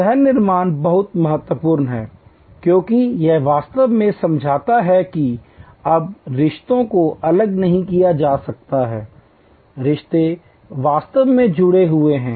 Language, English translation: Hindi, The co creation is very important, because it actually understands that now the relationships cannot be segregated, the relationships are actually quit connected